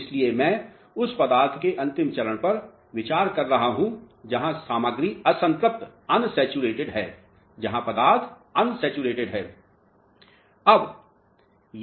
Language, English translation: Hindi, So, I am considering the ultimate stage of the material where thus material is unsaturated